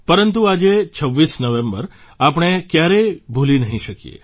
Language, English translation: Gujarati, But, we can never forget this day, the 26th of November